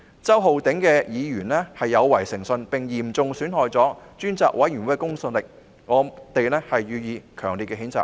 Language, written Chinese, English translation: Cantonese, 周浩鼎議員的行為有違誠信，並嚴重損害專責委員會的公信力，我們予以強烈譴責。, We strongly condemn Mr Holden CHOWs behaviour which has constituted a breach of integrity and has seriously undermined the credibility of the Select Committee